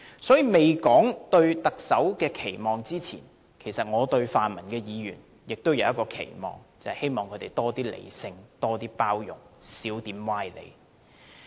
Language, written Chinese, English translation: Cantonese, 所以，在說出對特首的期望之前，我對泛民議員也有一個期望，便是希望他們多一些理性和包容，少一些歪理。, Therefore before stating my expectations for the next Chief Executive I do have an expectation for pan - democratic Members . I hope they can demonstration more rationality and tolerance and talk less nonsense